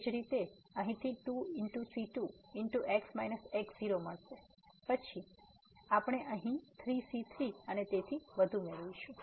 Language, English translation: Gujarati, Similarly from here we will get 2 time and minus then we will get here 3 time and so on